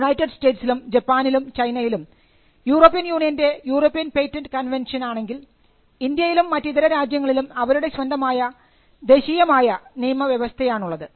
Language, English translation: Malayalam, See in the United States, in Japan, China, the European patent convention which is the European Union, India and different countries have their own national regimes